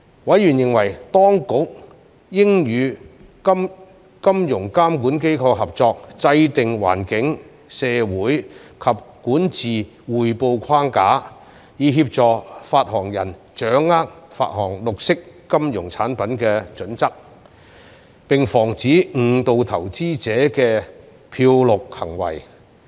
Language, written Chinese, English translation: Cantonese, 委員認為當局應與金融監管機構合作制訂環境、社會及管治匯報框架，以協助發行人掌握發行綠色金融產品的準則，並防止誤導投資者的"漂綠"行為。, Members were of the view that the Administration should work with financial regulators in developing the environmental social and governance reporting framework so as to assist issuers to grasp the standards and disclosure requirements in issuing green finance product and prevent greenwashing that would mislead investors